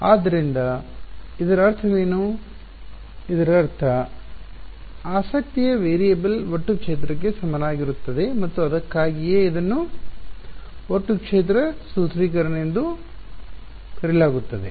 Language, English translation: Kannada, So, what does it mean, it means that the variable of interest equals total field and that is why it is called the total field formulation